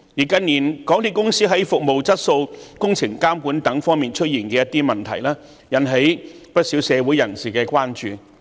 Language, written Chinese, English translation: Cantonese, 近年，港鐵公司在服務質素、工程監管等方面出現的一些問題，引起了不少社會人士的關注。, MTRCLs problems in such areas as service quality and supervision of works in recent years have aroused concern among many members of the public